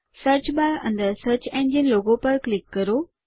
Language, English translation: Gujarati, Click on the search engine logo within the Search bar again